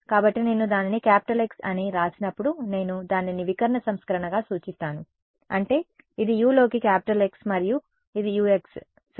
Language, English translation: Telugu, So, when I write it as capital X I mean it as the diagonal version; that means, so this is capital X into u and this is capital U into x ok